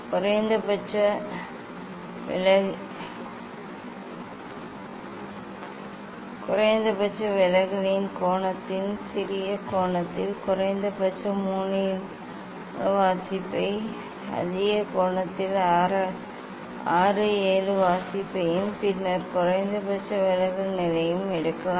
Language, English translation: Tamil, you can take at least 3 4 reading at the smaller angle of the angle at minimum deviation and 6 7 reading at the higher angle then the minimum deviation position